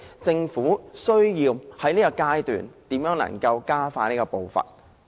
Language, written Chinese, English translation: Cantonese, 政府需要在這方面加快步伐。, The Government needs to expedite its pace in this regard